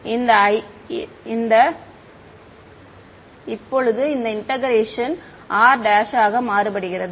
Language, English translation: Tamil, This is the integration here right now r prime is varying